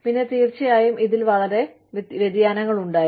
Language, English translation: Malayalam, And then, you know, of course, there were very variations of this